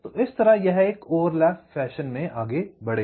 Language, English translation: Hindi, so in this way this will go on in a overlap fashion